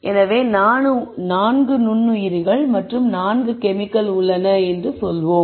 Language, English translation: Tamil, So, if there are these 4 microorganisms what you would do is